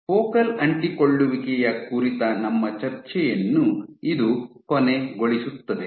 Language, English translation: Kannada, So, this brings to an end our discussion on focal adhesions